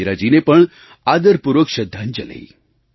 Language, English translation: Gujarati, Our respectful tributes to Indira ji too